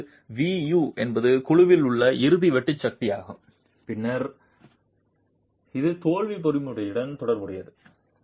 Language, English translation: Tamil, Now, VU is the ultimate shear force in the panel which is then associated to the failure mechanism